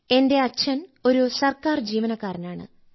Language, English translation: Malayalam, My father is a government employee, sir